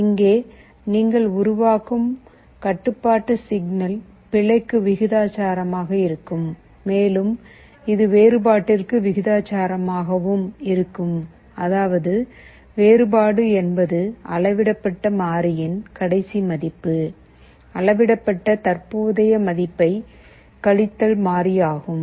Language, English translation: Tamil, Here the control signal that you are generating will be proportional to the error plus it will also be the proportional to the difference; that means, you are measured value previous minus measured value present, this is your derivative